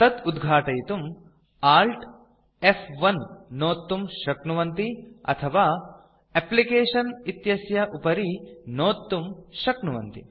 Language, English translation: Sanskrit, To open this, you can press Alt+F1 or go to applications and click on it